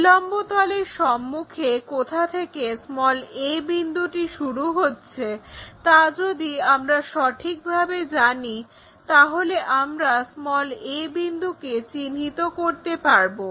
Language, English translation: Bengali, If we know in front of vertical plane where exactly a point really begins, we will be in a position to locate a